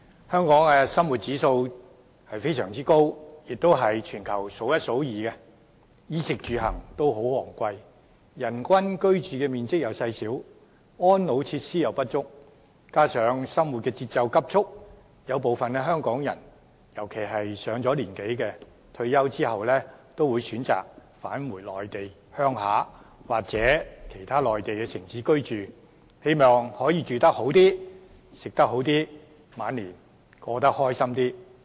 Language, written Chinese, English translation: Cantonese, 香港的生活指數非常高，算是全球數一數二，衣、食、住、行均十分昂貴，人均居住面積細小，安老設施不足，加上生活節奏急速，有部分香港人，尤其是上了年紀的長者，退休後均會選擇返回內地鄉下或其他內地城市居住，希望可以住好一些、吃好一些、晚年開心一些。, The costs of clothing food living and transport are expensive . The per capita living space is small . Inadequate elderly care facilities coupled with the fast tempo of life have prompted some Hong Kong people especially the elders to opt for returning to their hometown or other Mainland cities after retirement in order to live better eat better and be happier in their twilight years